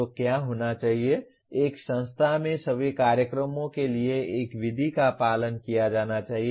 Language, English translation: Hindi, So what should happen is one method should be followed by followed for all programs in an institution